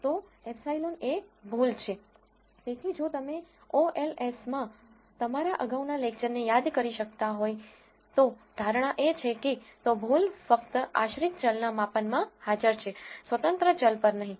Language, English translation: Gujarati, So, if you could recall from your earlier lectures in OLS, the assumption is that, so, error is present only in the measurement of dependent variable and not on the independent variable